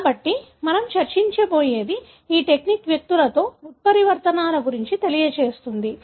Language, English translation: Telugu, So, what we are going to discuss is how this technique can be used to screen for mutations in the individuals